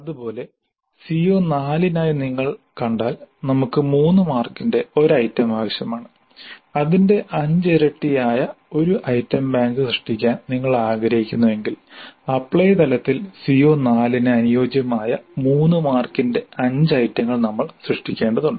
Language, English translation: Malayalam, Similarly for CO4 if you see we need one item of three marks and if you wish to create an item bank which is five times that then we need to create five items of three marks each corresponding to CO4 at apply level